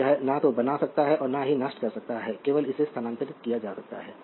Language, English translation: Hindi, So, it neither you can create nor you can destroy only it can be transferred right